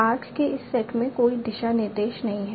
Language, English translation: Hindi, There is no direction in this set of arcs